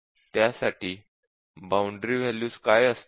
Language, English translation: Marathi, So, what will be the boundary values